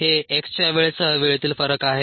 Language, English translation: Marathi, this is the variation of time with time of x